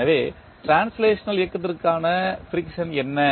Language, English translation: Tamil, So, what is the friction for translational motion